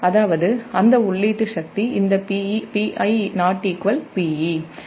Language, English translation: Tamil, that means that input power, this p i, is not equal to p e